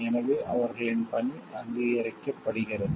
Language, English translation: Tamil, So, that their work gets recognizable